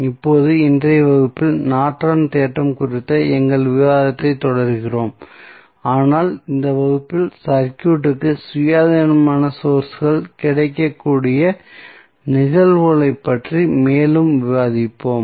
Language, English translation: Tamil, Now, in today's class we continue our discussion on Norton's theorem, but in this class we will discuss more about the cases where we have independent sources available in the circuit